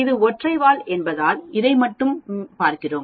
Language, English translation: Tamil, It is single tail because we are looking at only this